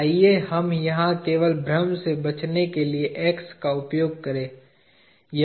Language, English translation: Hindi, Let us use a X here just to avoid confusion